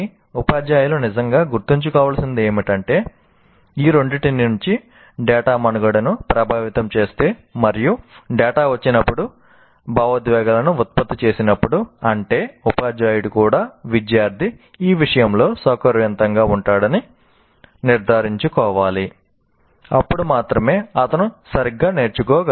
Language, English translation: Telugu, So this is what teachers should really, really remember that if data from these two affecting survival and data generating emotions, when it comes first, that means teacher should also make sure that the student actually feels comfortable with respect to this, then only he can learn properly